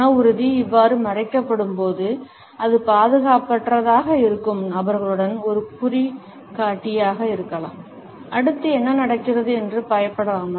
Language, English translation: Tamil, When the willpower is being covered up like this, it can be an indicator with the persons feeling insecure, there may be afraid of what is happening next